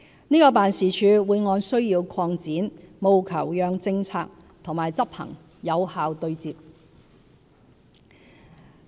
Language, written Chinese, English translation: Cantonese, 這個辦事處會按需要擴展，務求讓政策和執行有效對接。, This office will be expanded as needed to ensure that the policy and implementation could be effectively matched